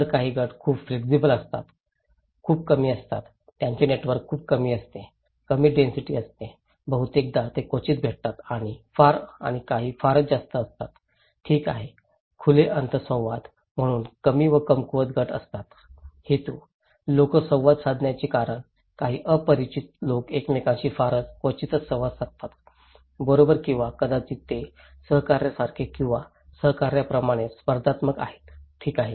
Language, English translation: Marathi, So, some groups are very flexible, very low, they have very less network, less density, they often they seldom met and some are very high, okay, so low and weak group like open ended interactions, very infrequent, limited with specific purpose, the reason of people interacting, in some neighbourhood people interact very rarely with each other, right or maybe they are very competitive like the colleagues or co workers, okay